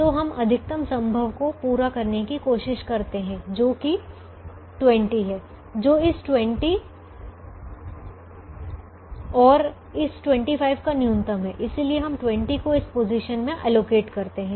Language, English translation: Hindi, therefore we try to meet the maximum possible, which is twenty, which is the minimum of this twenty and this twenty five